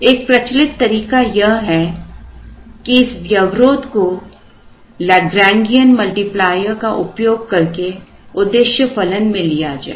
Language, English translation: Hindi, A popular way is to actually one could think in terms of taking this constraint into the objective function using a Lagrangean multiplier